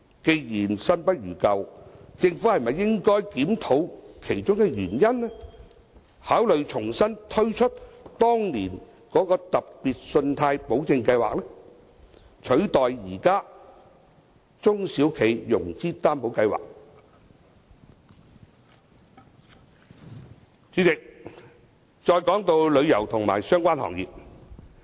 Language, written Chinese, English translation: Cantonese, 既然新不如舊，政府是否應該檢討當中的原因，考慮重新推出當年的特別信貸保證計劃，取代現時的中小企融資擔保計劃。主席，說一說旅遊及相關行業。, In view that the new measures are not as good as the old one perhaps the Government should review the underlying reasons and consider re - launching the previous Special Loan Guarantee Scheme to replace the existing SME Financing Guarantee Scheme